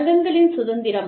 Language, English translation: Tamil, Freedom of association